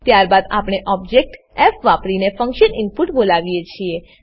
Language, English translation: Gujarati, Then we call the function input using the object f